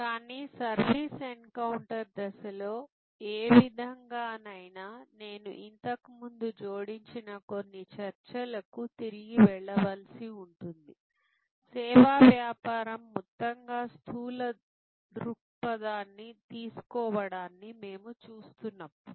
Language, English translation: Telugu, But, any way in the service encounter stage I will have to go back to some of the discussions that we have add before, when we are looking at taking a macro view of the service business as a whole